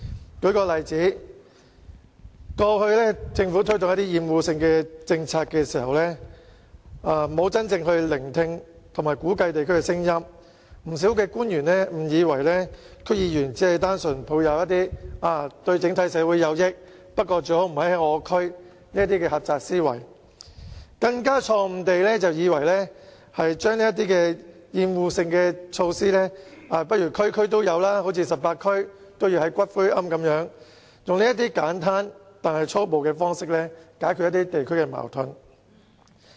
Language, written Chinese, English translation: Cantonese, 我舉一個例子，政府過往在推動一些厭惡性的政策時，沒有真正聆聽和估計地區的聲音，不少官員誤以為區議員只是單純抱持"對整體社會有益，但最好不要在我們區內推行"的狹窄思維，更錯誤地以為把一些厭惡性設施設於所有地區，例如在全港18區也興建骨灰龕，以這種簡單但粗暴的方式來解決地區矛盾。, In the past when the Government introduced policies on obnoxious facilities it did not really listen to and assess the opinions in the districts concerned . Many government officials mistakenly think that DC members only have the narrow mindset of this is beneficial to society but do not implement this in our backyard . They even have the mistaken believe that it is only necessary to place obnoxious facilities in all districts for example to build columbariums in all the 18 districts in Hong Kong and the disagreements among districts can then be resolved in such a simplistic and high - handed manner